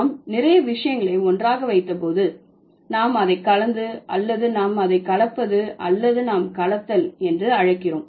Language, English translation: Tamil, So, when we put a lot of things together and we are blending it or we are mixing it, we call it that that is a process is called blending